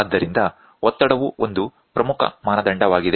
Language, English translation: Kannada, So, pressure is a very very important parameter